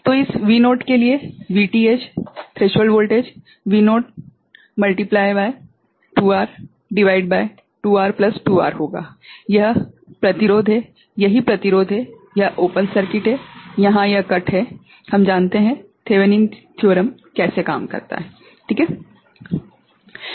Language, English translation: Hindi, So, for this V naught so, V Th will be V naught into this is 2R by 2R plus 2R right, this is the resistance, this is resistance, this is open circuit this is cut here right, we know the how the Thevenin theorem work ok